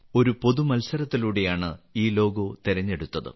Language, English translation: Malayalam, This logo was chosen through a public contest